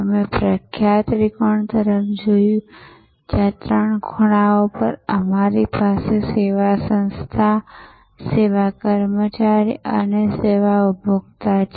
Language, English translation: Gujarati, We looked at the famous triangle, where at the three corners we have the service organization, the service employee and the service consumer